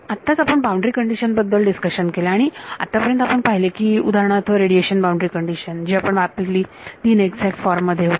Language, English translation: Marathi, Now, we had a discussion on boundary conditions and we have seen that the for example, the radiation boundary condition we have used its in exact